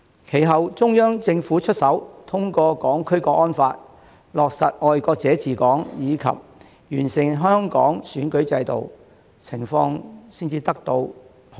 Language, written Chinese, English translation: Cantonese, 其後，中央政府出手，通過《香港國安法》、落實"愛國者治港"，以及完善香港選舉制度，情況才能得以受控。, The situation was brought under control only after the Central Government subsequently took matters into its own hands by enacting the National Security Law for HKSAR ensuring patriots administering Hong Kong and improving the electoral system of Hong Kong